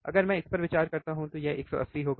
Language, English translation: Hindi, If I consider this one this will be 180